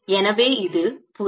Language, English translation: Tamil, so this is the field